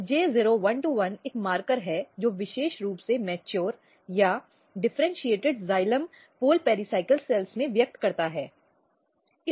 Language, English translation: Hindi, So, this is J0121 is a marker which very specifically express in mature or differentiated pericycle cells xylem pole pericycle cells